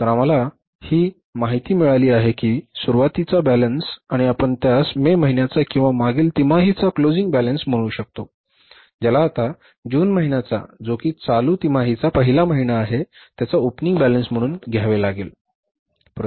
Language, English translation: Marathi, So, we have got this information that the beginning balance or you can call it as closing balance of the month of May is or of the previous quarter is now the opening balance in the month of June which is the first month of the current quarter so we will have to take it as the opening balance